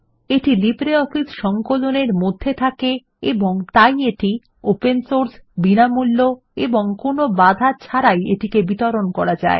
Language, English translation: Bengali, It is bundled inside LibreOffice Suite and hence it is open source, free of cost and free to distribute